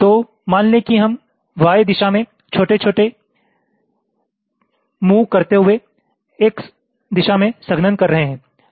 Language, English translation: Hindi, so let say we are performing x direction compaction while making small moves in the y direction